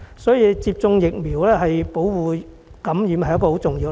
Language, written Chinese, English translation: Cantonese, 所以，接種疫苗對於提供保護免受感染是很重要的。, That is why vaccination is very important in providing protection against infection